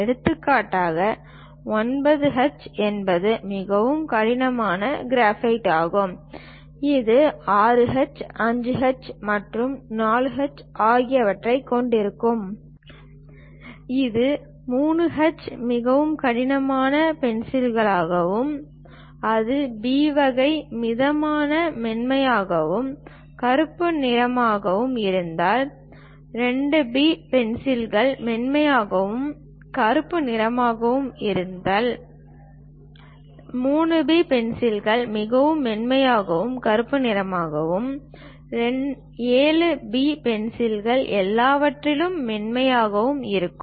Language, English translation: Tamil, For example, a 9H is very hardest kind of graphite one will having 6H, 5H and 4H extremely hard; if it is 3H very hard pencil and if it is H moderately hard, if it is a B type moderately soft and black, 2B pencils are soft and black, 3B pencils are very soft and black and 7B pencils softest of all